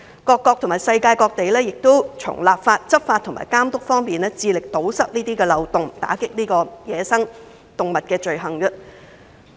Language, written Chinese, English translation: Cantonese, 各個國家和地區均從立法、執法和監督方面，致力堵塞漏洞，打擊走私野生動植物罪行。, Various countries and regions endeavour to plug the loopholes through legislation law enforcement and supervision so as to combat crimes involving wildlife trafficking